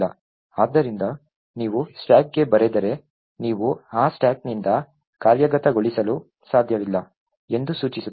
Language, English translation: Kannada, So, if you write to the stack it would imply that you cannot execute from that stack